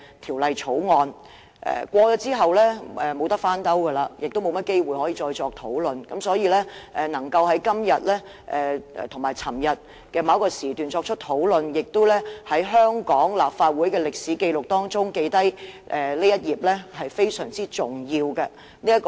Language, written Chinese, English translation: Cantonese, 《條例草案》通過後，便沒有甚麼機會可以再作討論，所以議員能在今天及昨天某個時段作出討論，並且在香港立法會的歷史紀錄中留下這一頁，實在非常重要。, After the passage of the Bill I do not think there will be any opportunity for us to have further discussion and it is therefore very important for Members to have a discussion on this issue today and at some time yesterday so as to leave a page in the historical record of the Legislative Council of Hong Kong